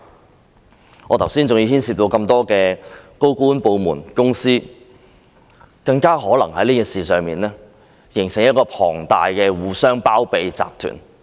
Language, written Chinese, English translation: Cantonese, 正如我剛才所說，這事牽涉到那麼多高官、部門和公司，他們更可能在這事上形成龐大的互相包庇集團。, As I have just said this incident involves so many senior officials departments and companies so they might have formed an enormous syndicate for shielding one another